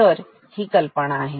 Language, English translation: Marathi, So, that is the idea